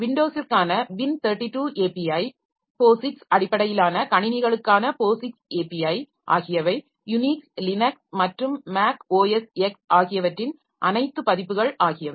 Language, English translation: Tamil, There are three most common APIs, the WIN 32 API for Windows, POSIX API for POSX based systems, including almost all versions of Unix Linux and Mac OS